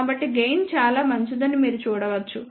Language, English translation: Telugu, So, you can see that gain is fairly good